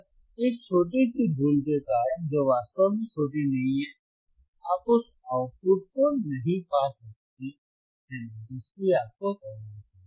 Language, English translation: Hindi, jJust because of this small error, which is not really small, you cannot find the output which you are looking for which you are looking for